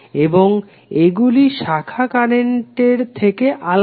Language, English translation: Bengali, And it is different from the branch current